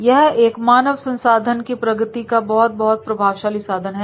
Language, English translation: Hindi, This is a very very effective instrument under HRD, human resource development